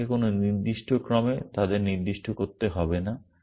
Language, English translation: Bengali, You do not have to specify them in this particular order